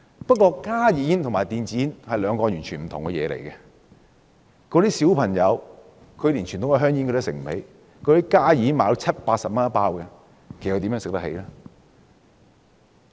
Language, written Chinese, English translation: Cantonese, 不過，加熱煙和電子煙是兩個完全不同的產品，小朋友連傳統香煙也買不起，加熱煙每包售價七八十元，他們怎會買得起呢？, However HnB cigarettes and electronic cigarettes are two completely different products . Children cannot even afford to buy traditional cigarettes let alone HnB cigarettes which are priced at 70 to 80 a packet?